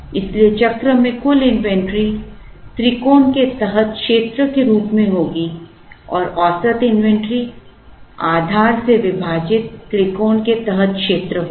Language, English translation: Hindi, So, inventory total inventory in the cycle as area under the triangle, average inventory will be area under the triangle, divided by the base